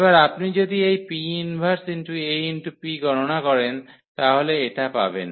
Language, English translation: Bengali, So, if you compute the P inverse AP now